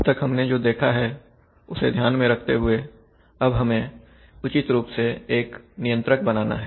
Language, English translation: Hindi, Good afternoon, so having seen that, so now we have to take care of these and design a controller appropriately